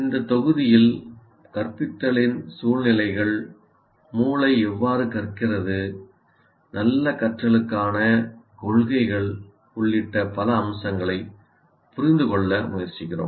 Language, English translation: Tamil, So in this module we attempt to understand several aspects of instruction including instructional situations, how brains learn and the principles for good learning